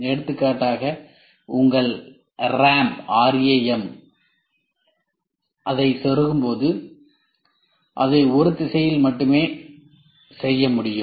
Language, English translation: Tamil, For example when you insert your ram into the slot you can do it only in one direction